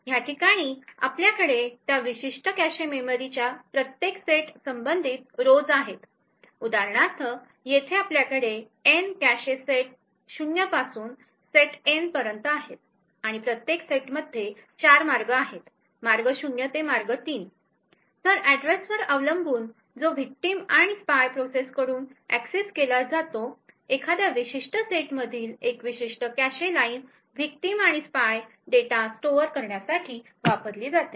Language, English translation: Marathi, So over here we have rows corresponding to each set in that particular cache memory, so here for example we have N cache sets going from set 0 to set N and each set has 4 ways, way 0 to way 3, so depending on the address that is accessed by the victim or the spy process so one particular cache line in a particular set is used to store the victim and the spy data